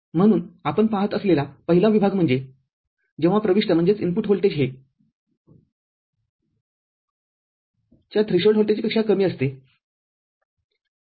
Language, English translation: Marathi, So, the first zone that we look at is the case when the input voltage is less than the threshold voltage of the NMOS, ok